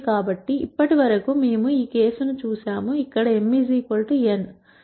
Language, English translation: Telugu, So, till now we saw the case, where m equal to n